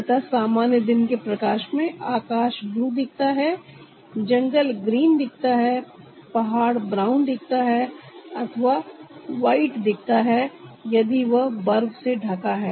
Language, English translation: Hindi, so in the normal daylight the sky looks blue, the jungle looks green, the mountain looks brown or white